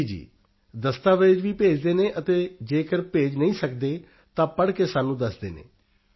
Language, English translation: Punjabi, Yes…Yes… We also transfer documents and if they are unable to transfer, they read out and tell us